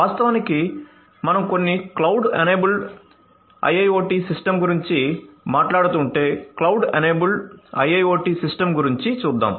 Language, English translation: Telugu, So, let us think about what actually happens if we are talking about some cloud enabled IIoT system cloud enabled right so let us look at the cloud enabled IIoT system